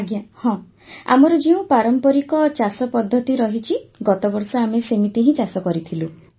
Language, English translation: Odia, Yes, which is our traditional farming Sir; we did it last year